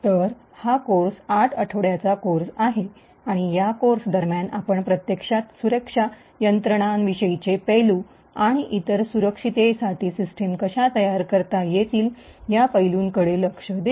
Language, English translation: Marathi, So, this course is an eight week course and, during this course we will actually look at details about, aspects about security systems, and essentially will look at aspects about how systems can be built to be more secure